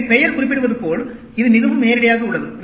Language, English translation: Tamil, So, as the name implies, it is very straight forward